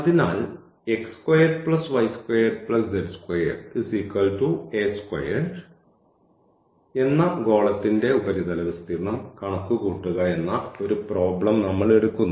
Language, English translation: Malayalam, So, moving to the next problem we will find now the area of that part of the sphere